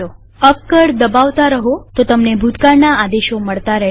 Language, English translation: Gujarati, Keep pressing and it will keep scrolling through the previous commands